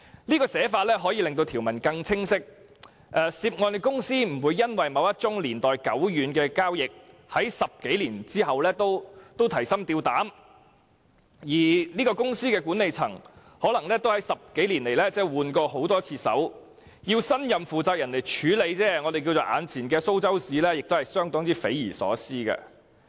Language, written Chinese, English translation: Cantonese, 這寫法可令條文更清晰，涉案公司不會因為某一宗年代久遠的交易，在10多年後仍要提心吊膽，而這些公司的管理層可能在10多年來已更換過很多次人，要新任負責人來處理前朝的"蘇州屎"亦是相當匪夷所思。, Such words will make the provision clearer and the company involved will not have to be on tenterhooks even some 10 years after the conclusion of a transaction . The management of the company may have changed several times over the 10 years or so and it will be inconceivable if the new management is required to handle the mess left over by the former management